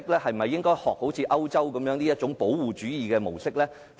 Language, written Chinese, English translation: Cantonese, 是否應該學習歐洲的保護主義模式？, Should we follow the protectionist model of Europe?